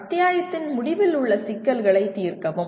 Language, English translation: Tamil, Solve end of the chapter problems